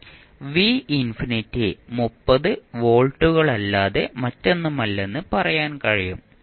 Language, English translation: Malayalam, You can simply say that v infinity is nothing but 30 volts